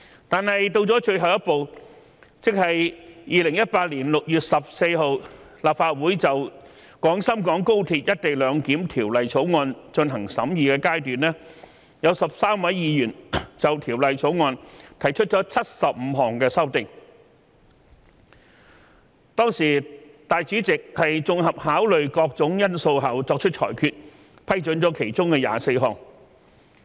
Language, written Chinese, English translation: Cantonese, 但是，到了最後一步，即2018年6月14日立法會就《廣深港高鐵條例草案》進行審議階段，有13位議員就該條例草案提出75項修正案，當時立法會主席綜合考慮各種因素後作出裁決，批准了其中24項。, But by the time the last step was about to be completed that is when the Legislative Council was considering the Guangzhou - Shenzhen - Hong Kong Express Rail Link Co - location Bill on 14 June 2018 13 Members proposed 75 amendments to the Bill . At that time the President of the Legislative Council decided to allow 24 amendments to be made after taking all factors into consideration